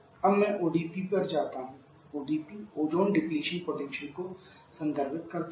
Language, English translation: Hindi, Now I go to the ODP ozone depletion potential for ODP R11 I should write the ozone depletion potential for R11